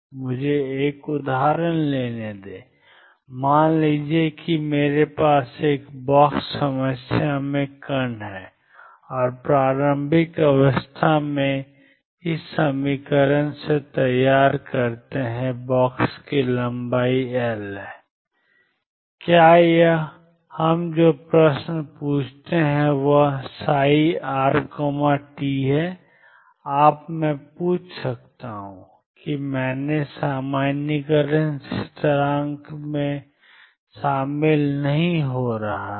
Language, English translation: Hindi, Let me take an example, suppose I have particle in a box problem and the initial state I prepare psi r 0 is given as sin cubed pi x over L the length of the box is L, what is and the question we ask is what is psi r t you may ask I am not attend the normalization constant in front